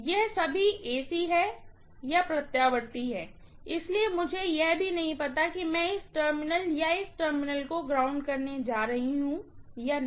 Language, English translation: Hindi, It is after all AC, so I do not even know whether I am going to ground this terminal or this terminal, I do not know